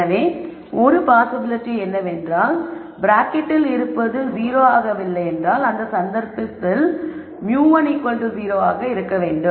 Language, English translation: Tamil, So, we could say one possibility is whatever is inside the bracket is not 0 in which case mu 1 has to be 0